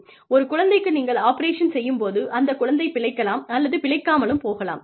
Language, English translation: Tamil, And, how will you operate, on the child, knowing that, the child may or may not survive